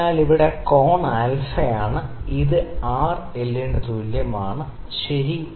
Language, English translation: Malayalam, So, here the angle is alpha, this alpha is equal to l by R, ok